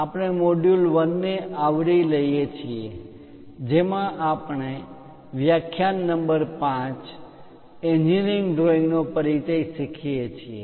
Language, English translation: Gujarati, We are covering Module 1, in which we are on lecture number 5; Introduction to Engineering Drawing